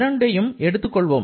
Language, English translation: Tamil, So, let us consider for these two, +s and +v